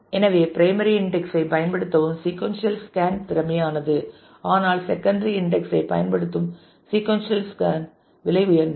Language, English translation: Tamil, So, sequential scan using primary index is efficient, but sequential scan using secondary index is expensive